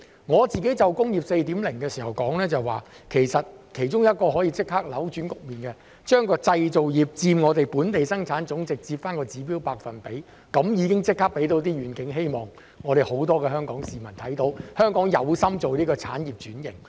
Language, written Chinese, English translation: Cantonese, 我自己就"工業 4.0" 發言時曾說道，其中一種可以立即扭轉局面的做法，是為製造業佔本地生產總值設立指標百分比，這便立即可以讓香港市民看到願景和希望，並知道香港有心進行產業轉型。, When I myself spoke on Industry 4.0 I once said that an arrangement that could immediately reverse the situation was to set an indicative percentage for the manufacturing industry in our Gross Domestic Product . This can immediately enable Hong Kong people to see the prospects and hope in the knowledge that Hong Kong has the intention to undergo industrial restructuring